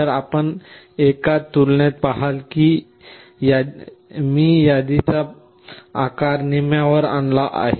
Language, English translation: Marathi, So, you see in one comparison I have reduced the size of the list to half